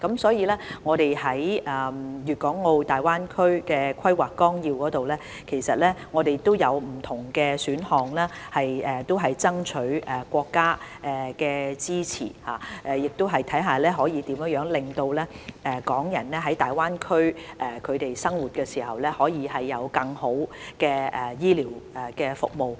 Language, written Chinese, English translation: Cantonese, 所以，在《粵港澳大灣區發展規劃綱要》中，我們提供了不同的選項以爭取國家支持，亦希望看看怎樣可以令港人在大灣區生活時，得到更好的醫療服務。, Hence under the Outline Development Plan for the Guangdong - Hong Kong - Macao Greater Bay Area we have provided different options to secure the support of the Country . We also wish to look into how to provide better medical services for Hong Kong people living in the Greater Bay Area